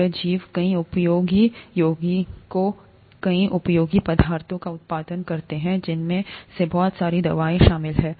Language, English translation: Hindi, These organisms produce many useful compounds, many useful substances, including a lot of medicines